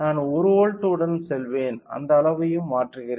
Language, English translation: Tamil, I will go with 1 volt, I am also changing the scale of it